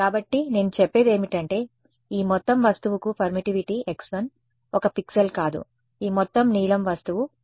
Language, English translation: Telugu, So, what I am saying is that this entire object has permittivity x 1 not one pixel, but this entire blue object is x 1